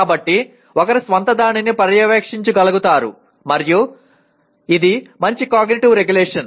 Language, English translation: Telugu, So one is able to monitor one’s own self and that is a good metacognitive regulation